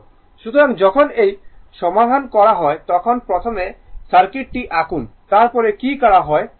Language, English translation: Bengali, So, when you will solve this one first you draw the circuit then you look ah what has been done